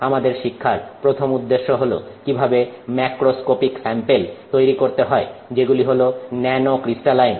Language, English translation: Bengali, Our first learning objective is how to make macroscopic samples that are nanocrystalline